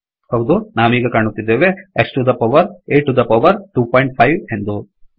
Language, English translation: Kannada, Okay, now we see that, X to the power, A to the power 2.5